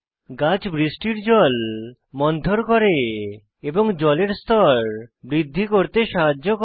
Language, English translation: Bengali, Trees slow down rain water and helps in increasing groundwater level